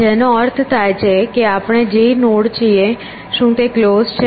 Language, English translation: Gujarati, Which means the number of nodes that we are, what is closed